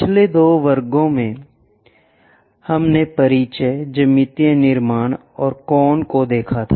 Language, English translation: Hindi, In the last two classes, we have covered introduction, geometric constructions and conic sections